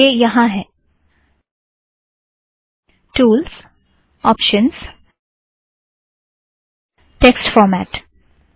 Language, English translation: Hindi, So it is here, tools, options, text format